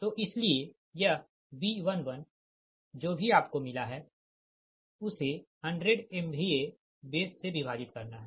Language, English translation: Hindi, so thats why this b one one, whatever you have got it, has to be divided by hundred, m v a base